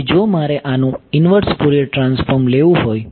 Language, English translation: Gujarati, So, if I want to take the inverse Fourier transform of this